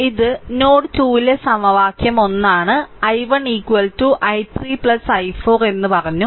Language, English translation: Malayalam, This is equation 1 at node 2 also I told you i 1 is equal to i 3 plus I 4